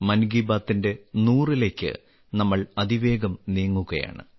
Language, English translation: Malayalam, We are fast moving towards the century of 'Mann Ki Baat'